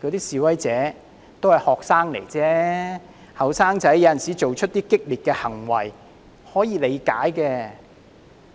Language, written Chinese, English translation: Cantonese, 示威者都是學生而已，年青人有時做出一些激烈的行為，是可以理解的。, It is understandable for young people to engage in some radical acts once in a while